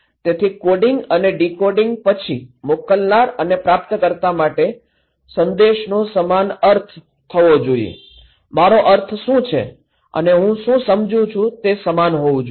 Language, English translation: Gujarati, So, sending the message from sender to receiver after coding and decoding should be same meaning, what I want to mean and what I understand should be same